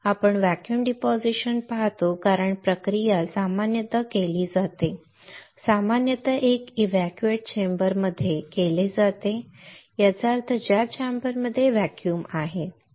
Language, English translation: Marathi, You see vacuum deposition because the process is usually done is usually done in an evacuated chamber in an evacuated; that means, the chamber in which there is a vacuum right